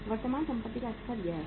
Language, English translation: Hindi, The level of current assets is this much